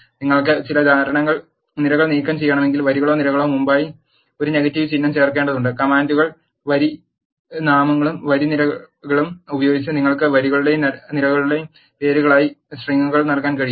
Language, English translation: Malayalam, If you want to remove some columns you need to add a negative symbol before the rows or columns, and you can also assign strings as names of rows and columns by using the commands row names and row columns